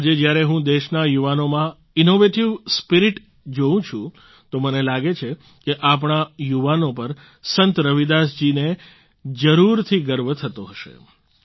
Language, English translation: Gujarati, Today when I see the innovative spirit of the youth of the country, I feel Ravidas ji too would have definitely felt proud of our youth